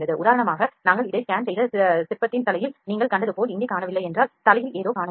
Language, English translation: Tamil, For instance if it is missing here as you saw in the head of the sculpture that we scanned this, there was it was something was missing in the head